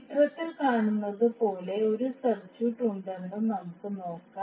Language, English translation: Malayalam, Let us see there is one circuit as we see in the figure